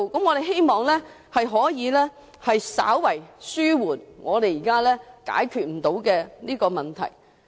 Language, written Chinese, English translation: Cantonese, 我們希望這有助稍為紓緩現時未能解決的問題。, We hope this will alleviate the current outstanding problems